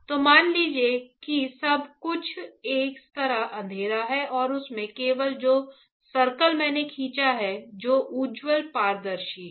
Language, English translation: Hindi, So, assume that everything is dark like this and in that only the circle that I have drawn only the circle that I have drawn is bright is transparent